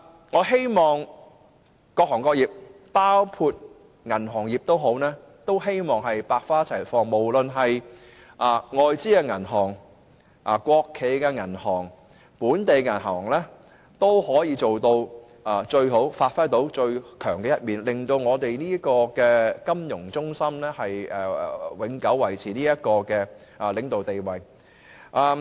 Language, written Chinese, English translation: Cantonese, 我希望各行各業能夠百花齊放，無論是外資銀行、國企銀行、本地銀行也可以做到最好，發揮最強的一面，令香港這個國際金融中心永久維持領導地位。, I hope that various sectors and industries including the banking sector can flourish and foreign banks state - owned banks and local banks can make the best efforts and give play to their strengths such that Hong Kong as an international financial centre can always maintain its leading position